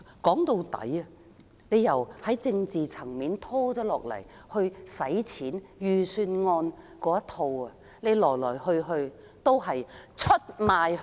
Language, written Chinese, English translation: Cantonese, 說到底，由政治層面到預算案，來來去去始終是出賣香港！, All in all from the political perspective to the Budget they all betray Hong Kong